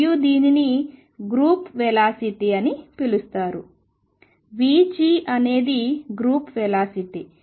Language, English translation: Telugu, And this is known as the group velocity, v g is the group velocity